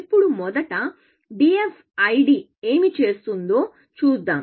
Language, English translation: Telugu, Now, first, let us see, what DFID would do